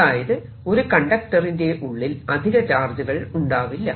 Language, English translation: Malayalam, there is no extra charge inside a conductor